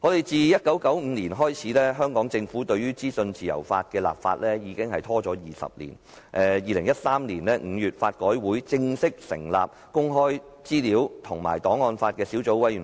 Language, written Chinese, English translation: Cantonese, 自1995年起，政府對於制定資訊自由法已拖延超過20年，及至2013年5月，法改會正式成立公開資料小組委員會及檔案法小組委員會。, Since 1995 the Government has been delaying the enactment of legislation on freedom of information for over 20 years . It was not until May 2013 that LRC formally established the Sub - Committee on Access to information and Sub - Committee on Archives Law